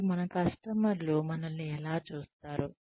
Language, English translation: Telugu, And, how our customers, view us